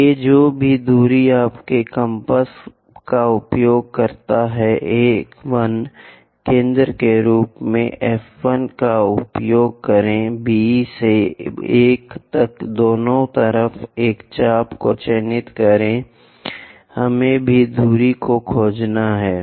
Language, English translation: Hindi, A to 1 whatever the distance use your compass A 1 use F 1 as centre mark an arc on both sides from B to 1 also we have to find the distance